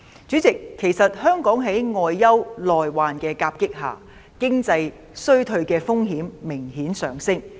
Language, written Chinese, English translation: Cantonese, 主席，香港在外憂內患的夾擊下，經濟衰退的風險明顯上升。, President as Hong Kong is plagued by both external and internal problems the risks of an economic recession are obviously on the rise